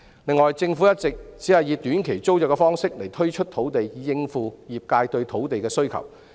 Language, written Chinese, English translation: Cantonese, 另外，政府一直只以短期租約方式推出土地，以應付業界對土地的需求。, In addition the Government has been rolling out land sites for short - term tenancy STT to cope with the trades demand for land